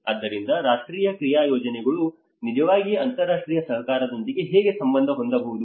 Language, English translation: Kannada, So how the national action plans can actually relate with the international cooperation as well